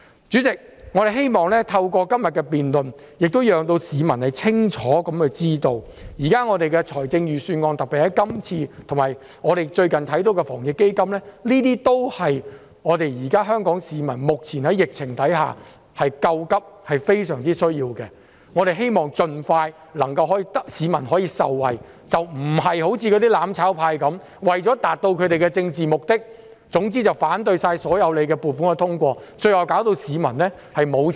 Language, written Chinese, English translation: Cantonese, 主席，我們希望透過今天的辯論讓市民清楚知道，現時的預算案，特別是這份預算案和最近的防疫抗疫基金，均是為現時在疫情下的香港市民救急、是非常需要的，我們希望能盡快讓市民受惠，而非像"攬炒派"般，為求達到政治目的，一概反對通過所有撥款，最後令市民拿不到錢。, President we want to make clear to the public in todays debate that this Budget and the recent AEF are absolutely necessary to address Hong Kong peoples pressing needs under the current epidemic . We hope the public can benefit as soon as possible contrary to the mutual destruction camp which opposes to all appropriations in order to achieve their political objectives forbidding people to receive the money as a result